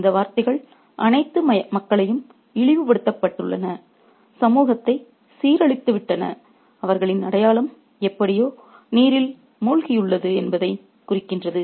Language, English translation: Tamil, All these words suggest that people have been debased, have been degraded in society and their identity is somehow submerged